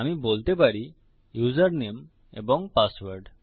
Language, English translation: Bengali, I can say username and password